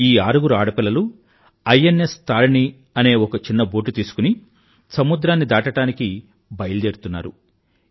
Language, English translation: Telugu, These six young women will embark on a voyage across the seas, in a small boat, INS Tarini